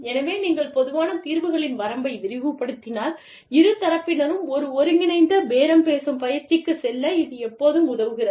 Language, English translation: Tamil, So, if you expand the range of common solutions, it always helps both parties, to go in for an, integrative bargaining exercise